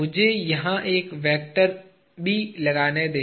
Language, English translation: Hindi, Let me just put a vector here